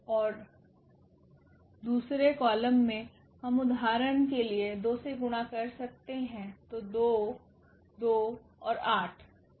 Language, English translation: Hindi, And in the second column we can place for instance we multiplied by 2 here, so 8 and 2